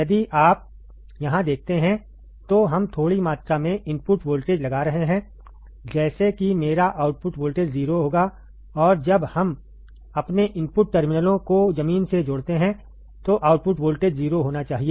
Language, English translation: Hindi, If you see here, we are applying a small amount of input voltage, such that my output voltage will be 0 and when we connect both my input terminals to ground, the output voltage should be 0